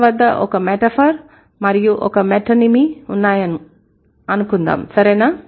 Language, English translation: Telugu, You have a metaphor and we, and you have a metonym, right